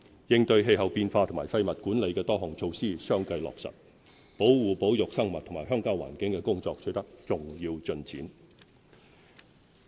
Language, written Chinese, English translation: Cantonese, 應對氣候變化和廢物管理的多項措施相繼落實。保護保育生物和鄉郊環境的工作取得重要進展。, Measures on climate change and waste management have been implemented progressively and important progress has been made in the protection and conservation of species and the rural environment